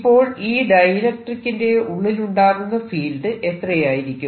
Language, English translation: Malayalam, what happens to the field inside the dielectric